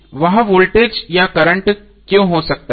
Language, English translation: Hindi, That may be the voltage or current why